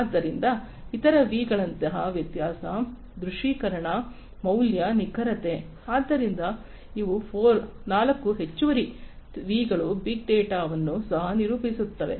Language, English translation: Kannada, So, other v’s like variability, visualization, value, veracity, so these are 4 additional V’s that will also characterize big data